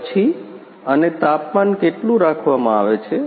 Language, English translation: Gujarati, And how much is the temperature